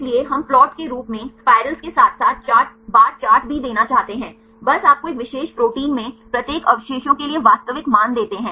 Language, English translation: Hindi, So, we want to give the plots in the form of the spirals as well as the bar chart just give you the actual values for each residue in a particular protein